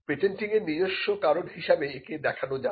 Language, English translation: Bengali, Patenting has it is own reasons too